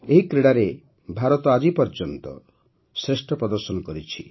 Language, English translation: Odia, India displayed her best ever performance in these games this time